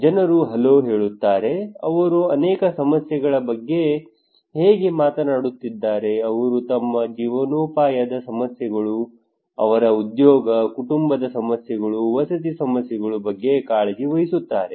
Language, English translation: Kannada, People say hello, how are you they are talking about many issues, they are concerned about their livelihood issues, their job, family issues, housing issues